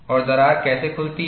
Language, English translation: Hindi, And, how does the crack open